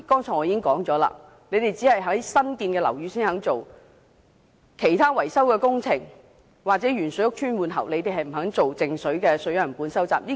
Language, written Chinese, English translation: Cantonese, 正如我剛才說過，當局只在新建樓宇收集靜止水樣本，就其他維修工程或受鉛水影響屋邨的換喉工程，卻未有進行靜止水樣本收集。, As I said just now the authorities have been collecting samples of stagnant water only in new buildings . However no samples of stagnant water have been collected in respect of other maintenance or pipe replacement works in housing estates affected by the lead - in - water incident